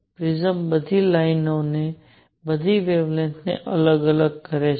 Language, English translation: Gujarati, The prism separates all the lines all the wavelengths